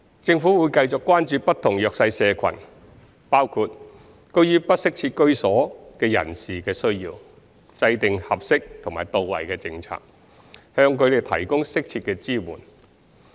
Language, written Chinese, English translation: Cantonese, 政府會繼續關注不同弱勢社群，包括居於不適切居所的人士的需要，制訂合適及到位的政策，向他們提供適切的支援。, The Government will continue to care for the needs of the underprivileged including households in inadequate housing and formulate appropriate policies to provide them with suitable support